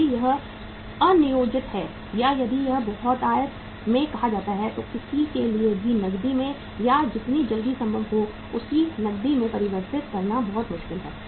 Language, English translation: Hindi, If it is unplanned or if it is a say in abundance then it will be very difficult for anybody to convert that into cash or as quickly as possible to convert into cash